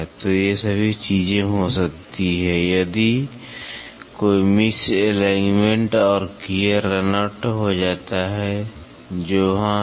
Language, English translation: Hindi, So, all these things can happen if there is a misalignment and gear run out which is there